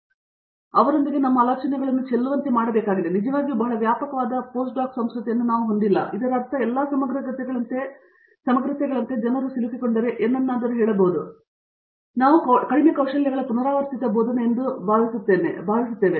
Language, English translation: Kannada, So, we have to actually shed our ideas with them and we don’t really have a very extensive post doc culture so that means, like all the integrities say something that people gets stuck on and we do end up doing some quite of like a repetitive teaching of these little skills